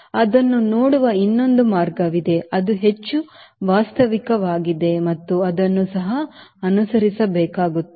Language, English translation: Kannada, there is another way of looking into it that is more realistic and it is being followed also